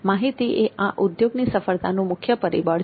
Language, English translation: Gujarati, Content is the key success factor in this industry